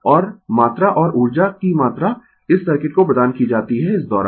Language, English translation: Hindi, And the amount and the amount of energy delivered to this thing circuit during this